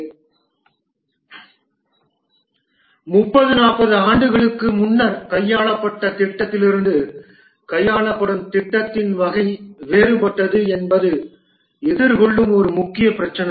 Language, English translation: Tamil, And one of the main problem that is being faced is that the type of project that are being handled are different from those that were handled 30, 40 years back